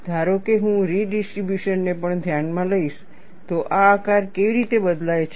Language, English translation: Gujarati, Suppose, I consider, even the redistribution, how does this shape varies